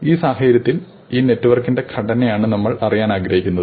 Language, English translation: Malayalam, So, in this case what we really would like to know is the structure of this network